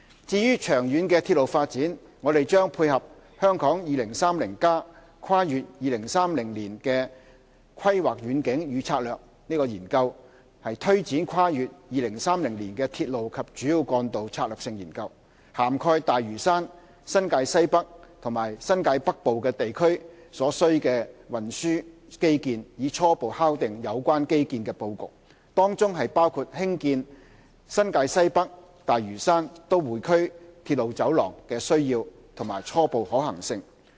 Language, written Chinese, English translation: Cantonese, 至於長遠的鐵路發展，我們將配合《香港 2030+： 跨越2030年的規劃遠景與策略》研究，推展跨越2030年的鐵路及主要幹道策略性研究，涵蓋大嶼山、新界西北和新界北部等地區所需的運輸基建，以初步敲定有關基建的布局，當中包括興建新界西北─大嶼山─都會區鐵路走廊的需要及初步可行性。, As regards long - term railway development we will take forward the Strategic Studies on Railways and Major Roads beyond 2030 the Study in light of the Hong Kong 2030 Towards a Planning Vision and Strategy Transcending 2030 Study . The Study will cover the transport infrastructure required in areas including Lantau NWNT and New Territories North with a view to preliminarily formulating the arrangement of the relevant infrastructure . This includes the need and the preliminary feasibility of constructing the NWNT - Lantau - Metro Rail Corridor